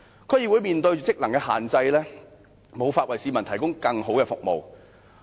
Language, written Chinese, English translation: Cantonese, 區議會面對職能的限制，無法為市民提供更好的服務。, DCs face limits in their functions and are hence inhibited from providing better services to the people